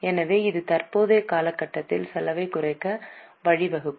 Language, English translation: Tamil, So, it will lead to reduction in the expense in the current period